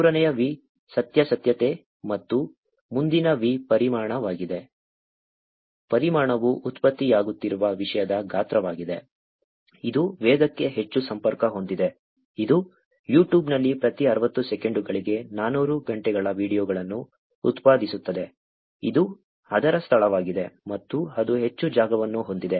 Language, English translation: Kannada, The third V is veracity and the forth V is Volume; volume is the size of the content that is getting generated which is very much connected to the velocity also, which is 400 hours of videos getting generated every 60 seconds on YouTube, which is also the space that its, and that much of space it is going to occupy, which is the reference to volume